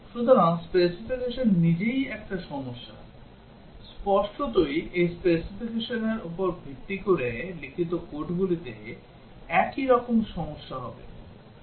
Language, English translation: Bengali, So, the specification itself there is a problem; obviously, the code which as written based on this specification would have the similar problem